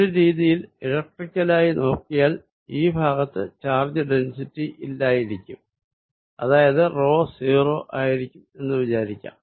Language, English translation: Malayalam, In a way you can think electrically this overlap region also to have no charge density, rho is 0